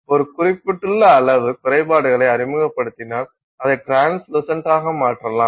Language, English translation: Tamil, So, if you introduce limited amount of defects, you make it translucent